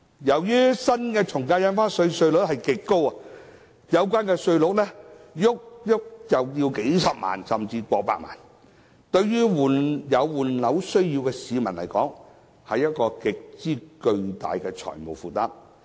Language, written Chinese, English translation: Cantonese, 由於新的從價印花稅稅率極高，有關稅款動輒高達數十萬元甚至過百萬元，對於有換樓需要的市民來說，是極為巨大的財務負擔。, As the new AVD rate is extremely high the stamp duty may amount to several hundred thousand dollars or even more than 1 million . This is a huge financial burden for people who need to replace their properties